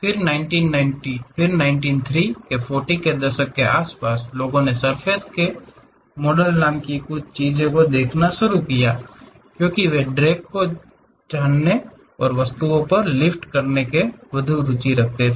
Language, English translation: Hindi, Then around 1930's, 40's people started looking at something named surface models, because they are more interested about knowing drag, lift on the objects